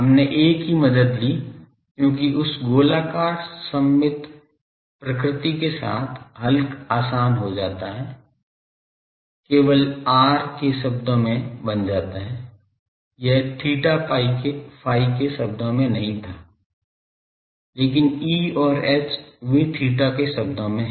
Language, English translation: Hindi, We took the help of A, because with that spherically symmetric nature is solution becomes easier only becomes the function of r it was not a function of theta phi, but E and H they are function of theta